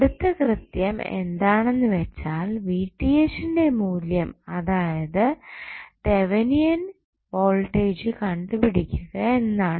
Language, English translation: Malayalam, Now, next task is to find the value of Vth that is Thevenin voltage